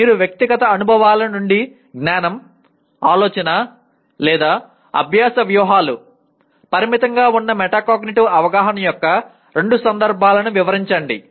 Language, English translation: Telugu, Describe two instances of inadequate metacognitive awareness that is knowledge, thinking or learning strategies from your personal experiences